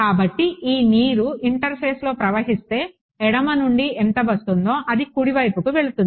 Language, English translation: Telugu, So, if this water flowing across in the interface, how much comes from the left that much goes into the right